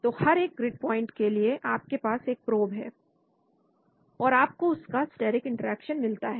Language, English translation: Hindi, So at each of the grid points you have the probe and then you get the steric interaction